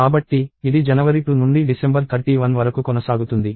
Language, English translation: Telugu, So, this goes from January 2 till December 31